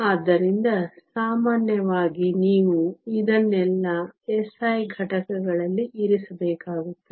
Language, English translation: Kannada, So, typically you have to keep all of this in SI units